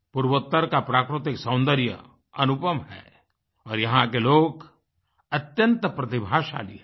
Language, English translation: Hindi, The natural beauty of North East has no parallel and the people of this area are extremely talented